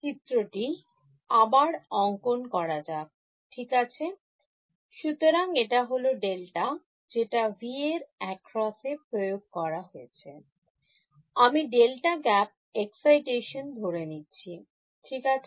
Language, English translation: Bengali, Let us draw are diagram again ok, so this is my Va applied across delta; I am assuming a delta gap excitation ok